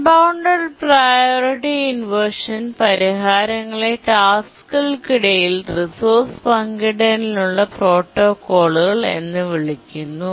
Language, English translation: Malayalam, The solutions to the unbounded priority inversion are called as protocols for resource sharing among tasks